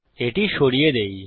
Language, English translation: Bengali, Lets get rid of this